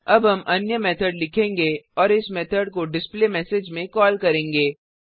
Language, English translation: Hindi, Now we will write another method and call this methd in displayMessage